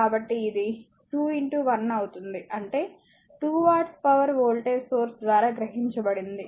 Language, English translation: Telugu, So, it will be 2 into 1 that is 2 watt power absorbed by the voltage source